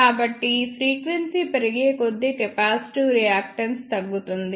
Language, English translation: Telugu, So, as frequency increases capacitive reactance decreases